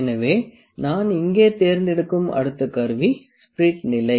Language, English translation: Tamil, So, next instrument I will pick here is spirit level